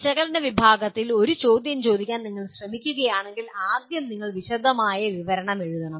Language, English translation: Malayalam, And if you are trying ask a question/an item or a question that belongs to the category of analyze, first thing is you have to write elaborate description